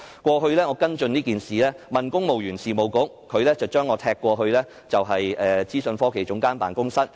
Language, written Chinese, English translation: Cantonese, 過去，我跟進這件事，向公務員事務局查詢，它將我"踢"到政府資訊科技總監辦公室。, In the past I followed up on this issue and made enquiries with the Civil Service Bureau which kicked me to OGCIO